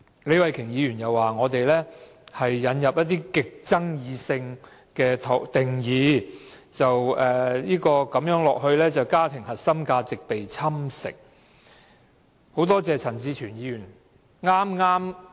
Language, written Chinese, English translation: Cantonese, 李慧琼議員又指，我們引入了極具爭議的定義，長此下去，家庭核心價值便會被侵蝕。, Ms Starry LEE also claimed that we have introduced some highly controversial definitions which will erode the core values of family in the long run